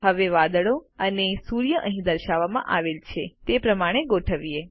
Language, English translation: Gujarati, Now lets arrange the clouds and the sun as shown here